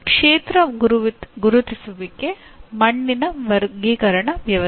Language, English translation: Kannada, Field identification, soil classification system